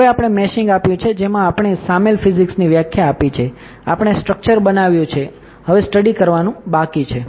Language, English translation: Gujarati, Now we have given the meshing we have define the physics involved, we have made the structure now the only thing left is to do perform the study